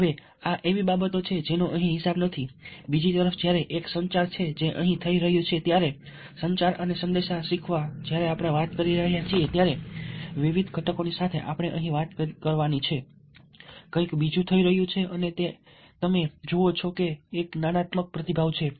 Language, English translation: Gujarati, on the other hand, when there is a communication which is what is taking place here communication and message learning when we are talking, along with the various components we are talking over here, something else is happening and that is, you see, that there is a cognitive response